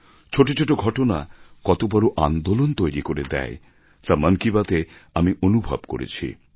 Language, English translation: Bengali, I've experienced through 'Mann Ki Baat' that even a tiny incident can launch a massive campaign